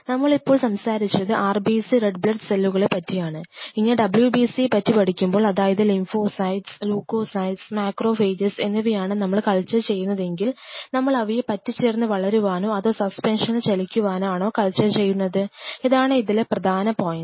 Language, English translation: Malayalam, So, are we talking about RBC red blood cells, are we talking about WBC wide blood cells or we talking about of course RBC in this all the Lymphocytes, Leukocytes Macrophages are we trying to culture this, and if we trying to culture them do you want them to adhere or we want them to you know in a suspension to move around what are we culturing this is the very critical point